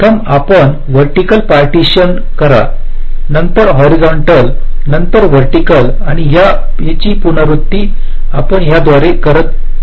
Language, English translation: Marathi, first you do a vertical partition, then a horizontal, then vertical, and this iteratively